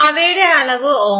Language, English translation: Malayalam, The dimension of those was in ohms